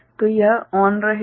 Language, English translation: Hindi, So, this will be ON